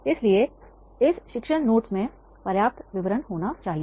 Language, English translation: Hindi, So, this teaching notes are they should have the sufficient detail, right